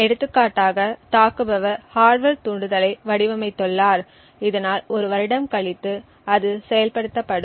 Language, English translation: Tamil, For example, let us say that the attacker has designed the hardware trigger so that it gets activated after a year